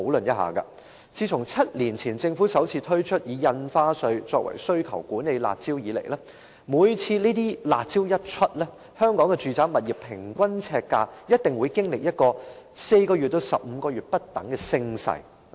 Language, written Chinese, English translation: Cantonese, 自從政府7年前首次推出以印花稅作為需求管理的"辣招"以來，每次推出"辣招"，香港住宅物業的平均呎價一定會經歷4個月至15個月不等的升勢。, Since the Governments first introduction of the curb measure that is a demand - side management measure through the levy of additional stamp duty seven years ago the average per - square - foot price of residential properties in Hong Kong would invariably go through an up - cycle ranging from 4 to 15 months whenever such curb measures were introduced . Take for example the launch of SSD in November 2010